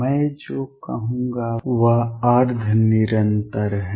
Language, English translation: Hindi, What I will call is quasi continuous